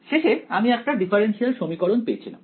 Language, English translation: Bengali, I ended up with the differential equation right